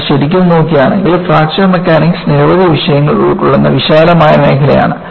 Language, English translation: Malayalam, And, if you really look at, Fracture Mechanics is a broad area covering several disciplines